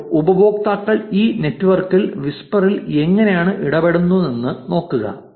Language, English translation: Malayalam, Now, look at how users engage in these in this network on whisper